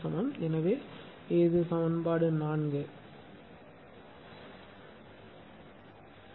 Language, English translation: Tamil, So, this is equation 4, right